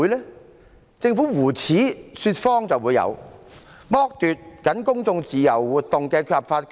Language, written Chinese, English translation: Cantonese, 有的只是政府胡扯說謊，剝奪公眾自由活動的合法權利。, There were only nonsense and lies of the Government which deprived the public of their legal rights to act freely